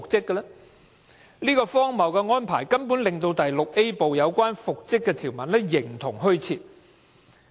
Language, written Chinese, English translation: Cantonese, 因為這荒謬的安排，《條例》第 VIA 部中有關復職的條文形同虛設。, Because of this ridiculous arrangement the provisions on reinstatement in Part VIA of the Ordinance are practically useless